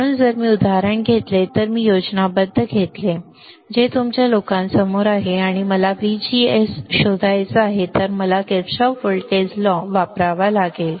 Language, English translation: Marathi, So, if I take this example if I take this schematic, which is right in front of you guys and I want to find this VGD then I had to use a Kirchhoffs voltage law